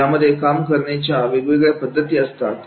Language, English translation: Marathi, So, there are different methods of working